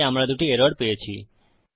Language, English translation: Bengali, So we get two errors